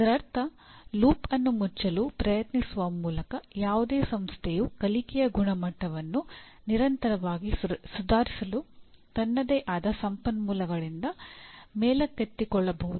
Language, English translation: Kannada, That means by trying to close the loop, any institution can keep on lifting itself by its own boot straps to continuously improve the quality of learning